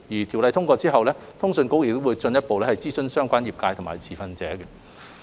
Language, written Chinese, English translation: Cantonese, 《條例草案》通過後，通訊局會進一步諮詢相關業界和持份者。, Following the passage of the Bill CA will further consult the sector and stakeholders concerned